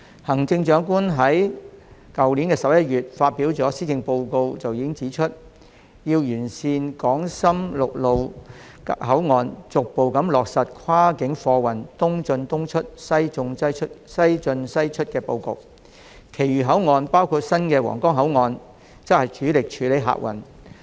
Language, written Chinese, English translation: Cantonese, 行政長官已在去年11月發表的施政報告中指出，要完善港深陸路口岸，逐步落實跨境貨運"東進東出、西進西出"的布局，其餘口岸包括新皇崗口岸則主力處理客運。, In the Policy Address delivered in November last year the Chief Executive has already pointed out that we should rationalize the Hong Kong - Shenzhen land boundary control points by progressively implementing the East in East out West in West out planning strategy for cross - boundary goods traffic and using other control points including the redeveloped Huanggang Port mainly for handling passenger flow